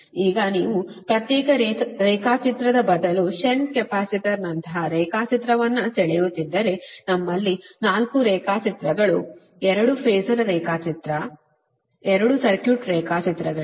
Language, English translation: Kannada, right now, if you draw the diagram, instead of separate diagram, like shunt capacitor, we had four diagrams, two phasor diagram, two circuit diagrams